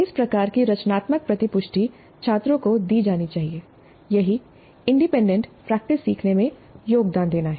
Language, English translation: Hindi, This kind of a constructive feedback must be given to the students if the independent practice is to contribute to learning